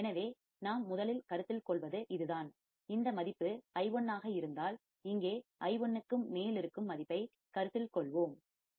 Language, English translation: Tamil, So, this is the first thing we are considering, this value which is i1 then we will consider the value which is right over here i1